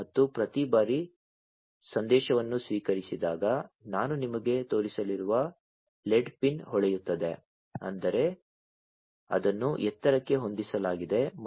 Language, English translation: Kannada, And every time a message is received, the led pin that I am going to show you is going to glow; that means, it is set to high and